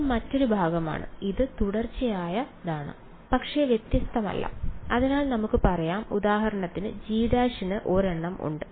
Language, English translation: Malayalam, And yeah this is the other part right it is continuous, but not differentiable right, so we can say that for example, G prime has a ok